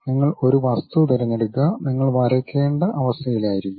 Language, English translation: Malayalam, You pick some object; you will be in a position to draw